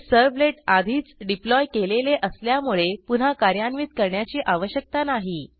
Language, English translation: Marathi, Since we deployed this servlet earlier, we need not run it again